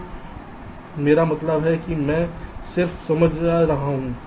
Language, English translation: Hindi, so what i mean i am just explaining